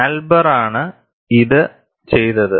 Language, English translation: Malayalam, This was done by Elber